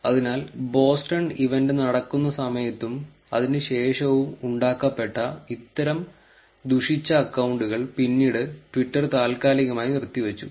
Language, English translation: Malayalam, So, there was a lot of malicious accounts that were created during the even just after the event during the Boston event that were later suspended by twitter